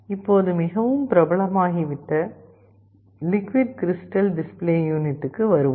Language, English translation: Tamil, And, the second is the liquid crystal display display unit